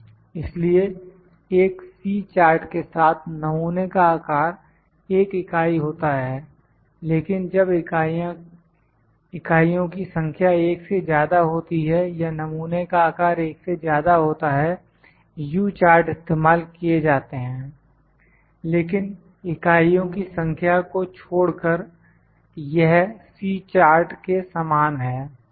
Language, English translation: Hindi, So, with a C chart the sample size is one unit, but when the number of units is more than one or sample size is greater than one U chart is used, but it is similar to C chart only thing is that the number of units are there